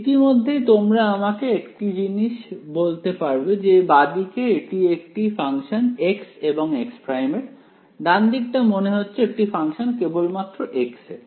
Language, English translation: Bengali, Already you can tell one thing that the left hand side over here is a function of x and x prime, right hand side seems to only be a function of x